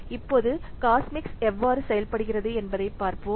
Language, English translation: Tamil, Now let's see how Cosmix does work